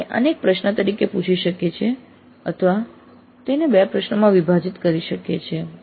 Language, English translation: Gujarati, We can ask this as a single question or we can put into two questions